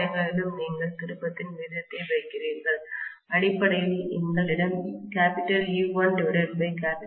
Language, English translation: Tamil, Everywhere you put the turn’s ratio, basically what we have is E1 by E2 equal to N1 by N2, right